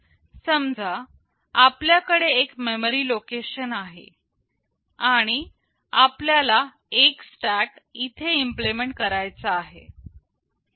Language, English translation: Marathi, Let us assume that we have a memory location we want to implement or stack here